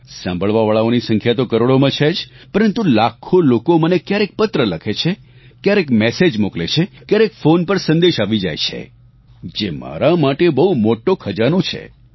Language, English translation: Gujarati, The number of listeners are in crores out of which lakhs of people write letters to me, send messages, and get their messages recorded on phone, which is a huge treasure for me